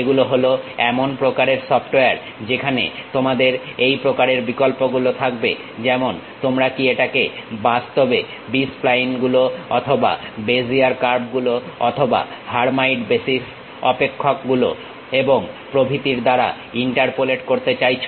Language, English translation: Bengali, These are kind of softwares where you will have these kind of options, uh like whether you would like to really interpolate it like through B splines or Bezier curves or Hermite basis functions and so on